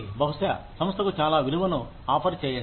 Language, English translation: Telugu, Maybe, offer a lot of value to the organization